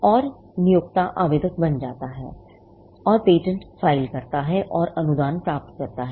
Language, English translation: Hindi, And the employer becomes the applicant and files the patent and gets a grant